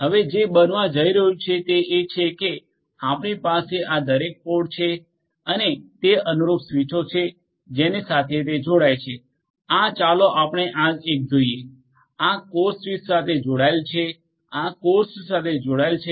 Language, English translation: Gujarati, Now what is going to happen is, you will have each of these pods each of these pods and the corresponding switches to which it connects, this will be let us take up this one, this one will be connected to this core switch, this will be connected to this core switch